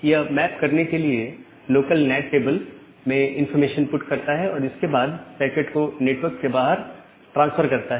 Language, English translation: Hindi, Put that information to the local NAT table to the map and then transfer that packet to the outside world